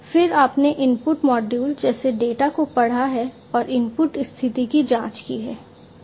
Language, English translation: Hindi, Then you have reading the data from the input module, the input module and checking the input status